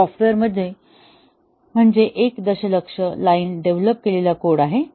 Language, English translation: Marathi, So the software let us say a million line of code has been developed